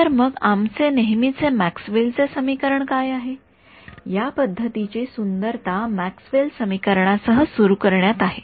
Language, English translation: Marathi, So, what is our usual Maxwell’s equation again this beauty of this method is to start with starts with Maxwell’s equation